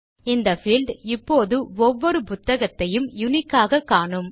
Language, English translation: Tamil, This field now will uniquely identify each book